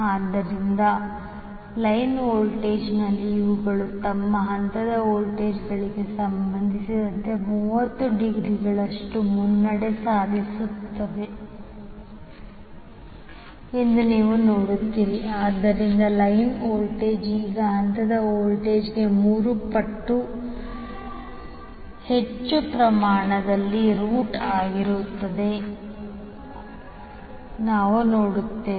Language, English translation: Kannada, So in the line voltage you will see that these are leading with respect to their phase voltages by 30 degree, so we also see that the line voltage is now root 3 times of the phase voltage in magnitude